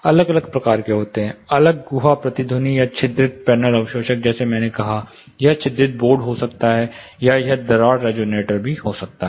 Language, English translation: Hindi, There are different type's individual cavity resonators, or perforated panel absorbers, like I said it can be perforated boards, or it can be slit resonators